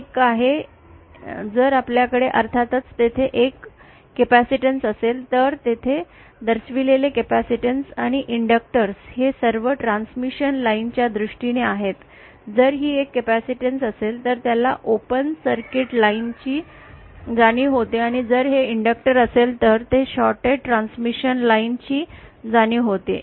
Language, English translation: Marathi, One is here if we have a capacitance of course there capacitors and inductors that are shown here are all in terms of transmission line either so if this is a capacitance then it realise a open circuit line and if this is an inductor then it implies a shorted transmission line